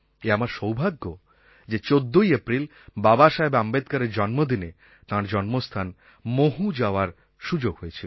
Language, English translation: Bengali, It was my good fortune that on 14th April, the birth anniversary of Babasaheb Ambedkar, I got the opportunity to visit his birthplace Mhow and pay my respects at that sacred place